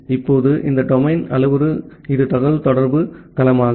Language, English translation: Tamil, Now, this domain parameter it is the communication domain